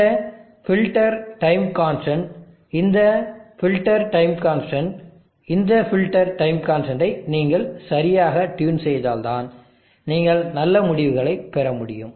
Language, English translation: Tamil, This filter time constant, this filter time constant, this filter time constant need to be properly tuned, if you have to get good results